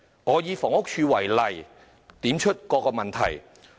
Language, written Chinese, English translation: Cantonese, 我想以房屋署為例，點出各個問題。, I would like to cite the Housing Department HD as an example to highlight various problems